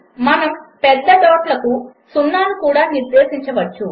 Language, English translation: Telugu, You can also specify o for big dots